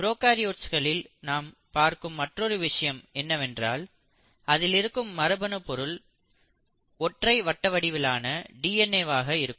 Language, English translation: Tamil, The other thing that you observe in prokaryotes is that for most of them genetic material exists as a single circular DNA